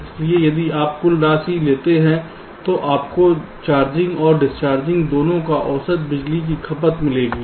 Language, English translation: Hindi, so if you take the sum total you will get the average power consumption over both the cycles, charging and discharging